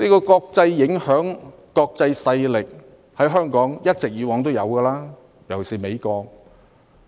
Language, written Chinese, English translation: Cantonese, 國際影響及國際勢力，過去在香港一直存在，尤其是美國。, International influence and international power especially that of the United States have always existed in Hong Kong